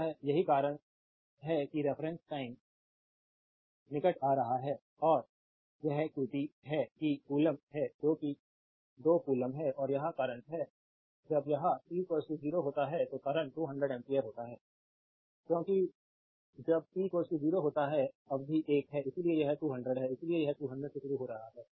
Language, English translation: Hindi, So, that is why it is your approaching and that is qt is coulomb that is 2 coulomb and this is the current right it is the current when t is equal to 0, current is 200 ampere because when t is equal to 0 this term is 1